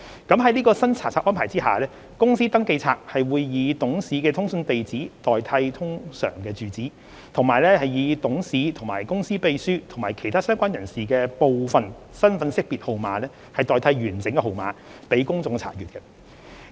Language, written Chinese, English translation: Cantonese, 在新查冊安排下，公司登記冊會以董事的通訊地址代替通常住址，以及以董事、公司秘書及其他相關人士的部分身份識別號碼代替完整號碼，讓公眾查閱。, Under the new inspection regime correspondence addresses instead of usual residential addresses URAs of directors and partial identification numbers IDNs instead of full IDNs of directors company secretaries and other relevant persons will be made available on the Companies Register for public inspection